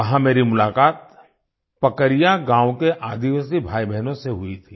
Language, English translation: Hindi, There I met tribal brothers and sisters of Pakaria village